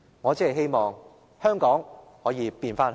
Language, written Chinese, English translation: Cantonese, 我只是希望香港可以變回香港。, I only hope that Hong Kong can still be Hong Kong